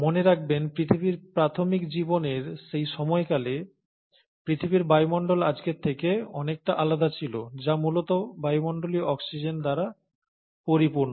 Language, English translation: Bengali, And mind you, at that point of time in the early life of earth, the atmosphere of the earth was very different from what we see of today, which is essentially full of atmospheric oxygen